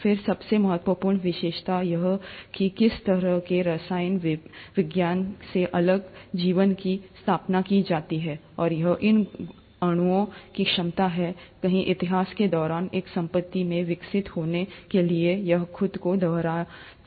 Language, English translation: Hindi, Then came the most important feature which kind of sets apart life from chemistry, and that is the ability of these molecules, somewhere during the course of history, to develop into a property where it can replicate itself